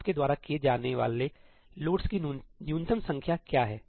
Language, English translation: Hindi, What is the minimum number of loads you have to do